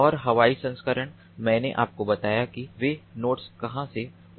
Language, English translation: Hindi, and the aerial version: i told you where the nodes they fly